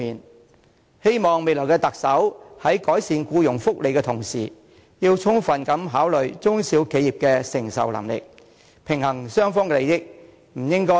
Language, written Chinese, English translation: Cantonese, 我希望未來的特首在改善僱員福利的同時，能充分考慮中小企業的承受能力，平衡雙方利益，不應該顧此失彼。, I hope that while the next Chief Executive seeks to improve employee benefits he or she can also fully consider the capacity of SMEs . A balance must be struck between the interests of both sides and no one side should be looked after at the expense of the other